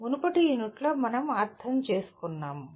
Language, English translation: Telugu, That is what we understood in the previous unit